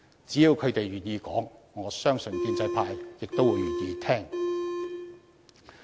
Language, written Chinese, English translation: Cantonese, 只要他們願意說出來，我相信建制派亦會願意聆聽。, As long as they are willing to speak up I believe that the pro - establishment camp will be more than willing to listen